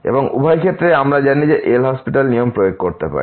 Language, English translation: Bengali, And in either case we know that we can apply the L’Hospital rule